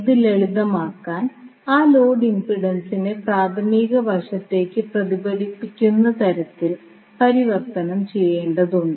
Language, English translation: Malayalam, So, to simplify what we have to do first we have to convert that load impedance in such a way that it is reflected to the primary side